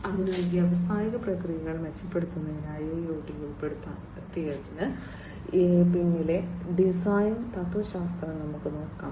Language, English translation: Malayalam, So, let us look at the design philosophy behind the inclusion of IIoT for improving the industrial processes